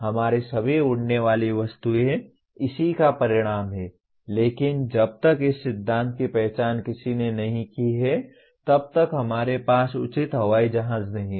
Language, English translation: Hindi, That is all our flying objects are the result of this, but until this principle somebody has identified we really did not have the proper airplane